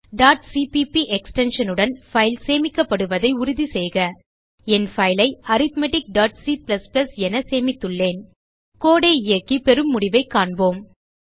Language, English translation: Tamil, Make sure the file is saved with the extension .cpp I have saved my file as arithmetic.cpp Lets execute the code and see what results we get